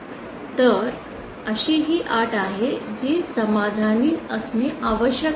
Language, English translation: Marathi, So that is also the condition that must be satisfied